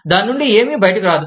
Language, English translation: Telugu, Nothing will come out of it